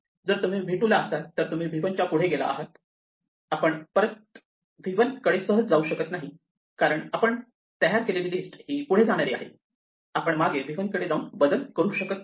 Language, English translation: Marathi, If you are already at v 2 then we have gone past v 1 and we cannot go back to v 1, easily the way we have set up our list because it only goes forward; we cannot go back to v 1 and change it